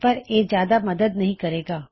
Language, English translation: Punjabi, This wont be of much help